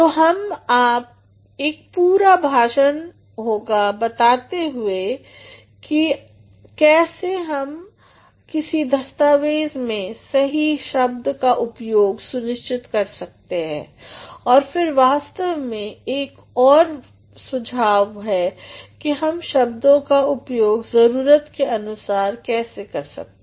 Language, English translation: Hindi, So, we will have a complete lecture on how we can make a proper use or a proper choice of words in a particular document, and then what is actually another suggestion is one must use words as per the needs